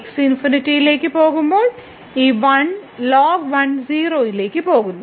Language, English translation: Malayalam, So, when goes to infinity so, this 1 goes to 0